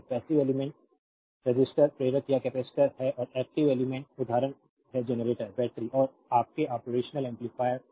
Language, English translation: Hindi, So, passive elements are resistors inductors or capacitors and active elements example are generators, batteries and your operational amplifiers